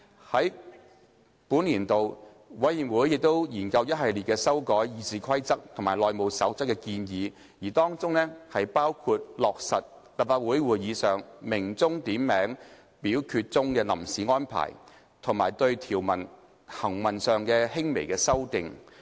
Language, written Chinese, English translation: Cantonese, 在本年度，委員會亦研究一系列修改《議事規則》及《內務守則》的建議，當中包括落實立法會會議上鳴響點名表決鐘的臨時安排，以及對條文行文上的輕微修訂。, During this legislative session the Committee studied a series of proposed amendments to the Rules of Procedure and the House Rules including the interim arrangements relating to the ringing of the division bell at Council meetings and minor textual amendments to provisions